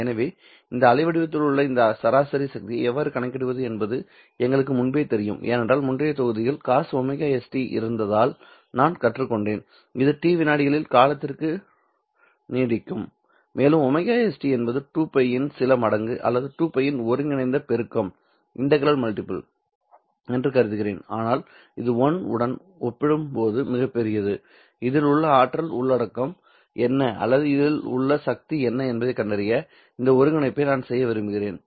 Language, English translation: Tamil, So, we already know how to calculate this average power contained in this waveform because in the previous module we have learned that if I have COS omega ST which lasts a duration of T seconds and I assume that omega t is either some multiple of two pi or integral multiple of two pi or that this is very very large compared to one then if i were to perform this integral in order to find out what is the energy contained in this or what is the power contained in this i have to take this cos square omega s t and integrate this fellow over d t